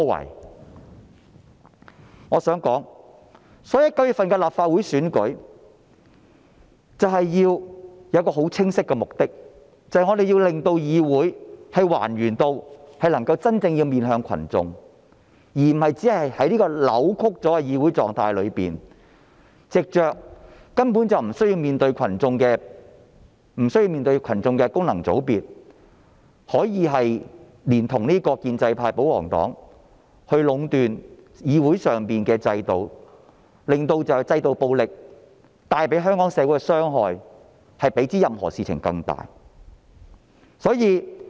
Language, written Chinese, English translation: Cantonese, 因此，我想說的是，對於9月的立法會選舉，我們有一個很清晰的目的，就是要令議會還原至能夠真正面向群眾，而不是在這種扭曲的議會狀態中，藉着根本無須面對群眾的功能界別，連同建制派、保皇黨壟斷議會制度，令制度暴力比任何事情對香港社會造成更大的傷害。, Well they have done so many good deeds . Therefore what I want to say is that in the Legislative Council Election in September there will be a very clear mission for us . We have to restore the Council so that it really faces the people rather than remaining in a distorted state under which Members returned by functional constituencies who do not need to face the people collude with the pro - establishment camp and the pro - Government camp in dominating the legislature thus allowing institutional violence to cause more harm to Hong Kong society than anything else